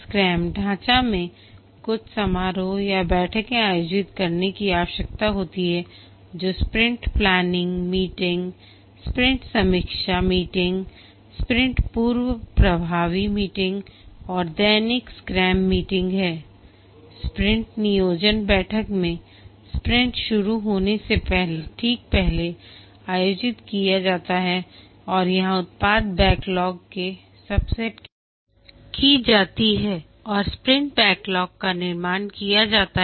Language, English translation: Hindi, In the scrum framework, some ceremonies or meetings that are required to be conducted one is the sprint planning meeting sprint review meeting sprint retrospective meeting and the daily scrum meeting we look at these meetings in the sprint planning meeting this is sprint planning, this is conducted just before a sprint starts and here a subset of the product backlog is identified and the sprint backlog is formed